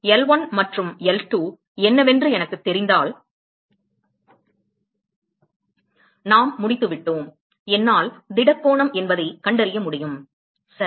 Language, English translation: Tamil, So, if I know what L1 and L2, we are done, I can find the solid angle ok